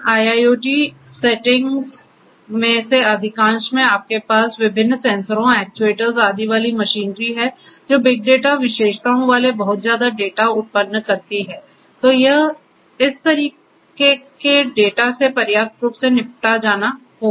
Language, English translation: Hindi, In most of these IIoTs settings you are going to have this industrial machinery with these different sensors actuators and so on basically generating large volumes of data having all this big data characteristics